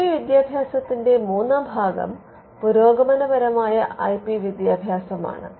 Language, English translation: Malayalam, Now, the third part of IP education is the advanced IP education